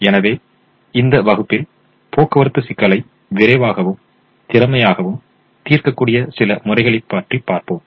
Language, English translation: Tamil, so in this class we will look at some of these methods that can solve the transportation problem faster and efficiently